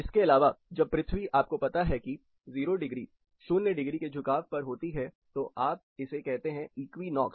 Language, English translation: Hindi, Apart from this, when earth is typically you know there is a 0 degree tilt, you call it as equinox